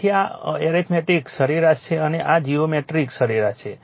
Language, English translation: Gujarati, So, this is arithmetic mean and this is geometric mean right